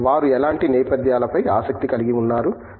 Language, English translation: Telugu, What sort of backgrounds are they interested in